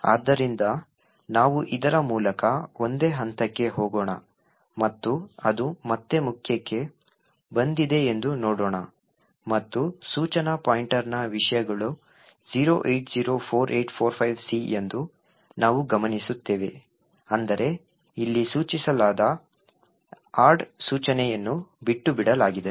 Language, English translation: Kannada, So, let us single step through this and see that it has come back to main and we would note that the contents of the instruction pointer is 0804845C which essentially means that the add instruction which is specified here has been skipped